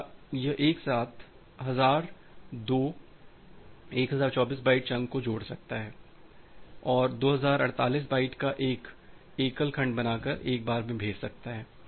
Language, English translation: Hindi, Or it can combine thousand two 1024 byte chunk together, and create a single segment of 2048 byte and send it to one go